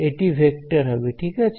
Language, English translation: Bengali, It is going to be a vector right